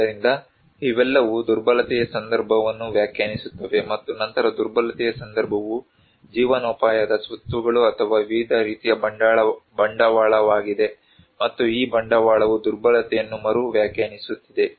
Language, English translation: Kannada, So, these all define vulnerability context and then the vulnerability context also is livelihood assets or the various kind of capital and this capital also is redefining the vulnerability